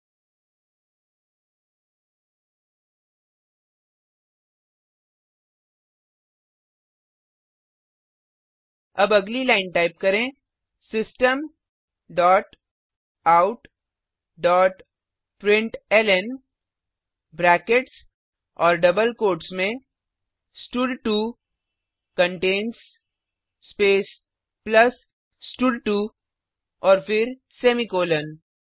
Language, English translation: Hindi, Now type next line System dot out dot println within brackets and double quotes stud2 contains space plus stud2 and then semicolon